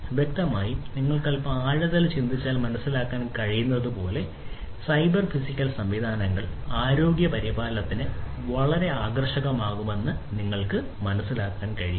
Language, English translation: Malayalam, So, obviously, as you can understand if you think a little bit in deep you will be able to realize that cyber physical systems will be very attractive of use for healthcare, right